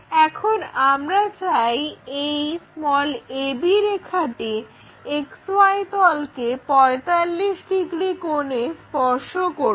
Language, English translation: Bengali, Now on the same X Y plane we want to touch this a b line which is making 45 degrees angle